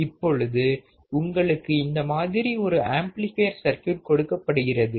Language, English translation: Tamil, So, you have been given an amplifier like this